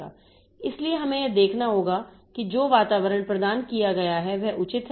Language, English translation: Hindi, So, we have to see like this environment that is provided is proper